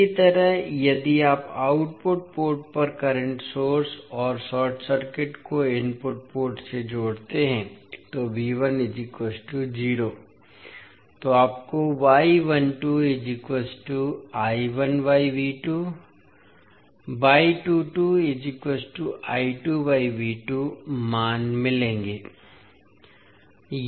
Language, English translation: Hindi, Similarly, if you connect current source at the output port and the short circuit the input port so V 1 will become 0 now